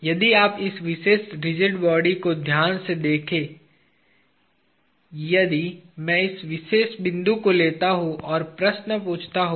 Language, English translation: Hindi, If you look at this carefully for this particular rigid body, if I take this particular point and ask the question